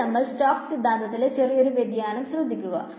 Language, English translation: Malayalam, Now, moving on there is one small variation of the Stoke’s theorem which we will talk about